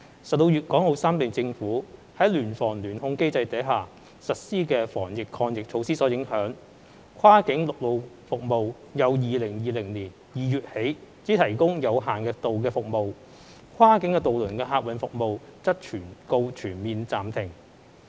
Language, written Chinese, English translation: Cantonese, 受粵港澳三地政府在聯防聯控機制下實施的防疫抗疫措施所影響，跨境陸路服務由2020年2月起只提供有限度服務，跨境渡輪客運服務則告全面暫停。, Owing to the measures introduced by the governments of Guangdong Hong Kong and Macao under the cooperation mechanism on joint prevention and control of the epidemic only limited land - based cross - boundary services have been provided since February 2020 while cross - boundary passenger ferry services have come to a complete halt